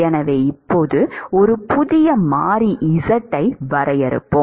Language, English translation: Tamil, Now, supposing I define a variable called z, which is x by L